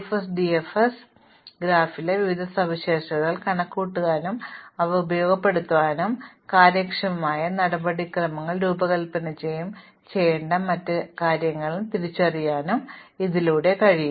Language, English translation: Malayalam, So, very efficiently you can compute various properties of the graph and use these to exploit these to design more efficient procedures or to identify other things that need to be done